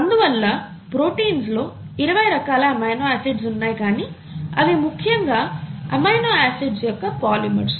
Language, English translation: Telugu, And therefore there are 20 different types of amino acids in the proteins which are essentially polymers of amino acids